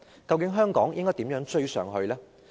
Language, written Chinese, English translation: Cantonese, 究竟香港應如何迎頭趕上？, After all how should Hong Kong rouse itself to catch up?